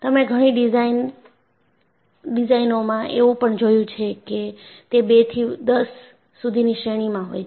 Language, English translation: Gujarati, And you have seen in several designs, it ranges from 2 to 10